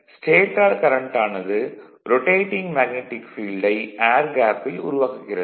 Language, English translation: Tamil, The stator current set up a rotating magnetic field in the air gap right